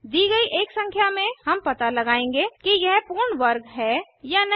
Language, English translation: Hindi, Given a number, we shall find out if it is a perfect square or not